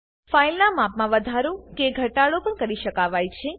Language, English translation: Gujarati, The volume of the file can also be increased or decreased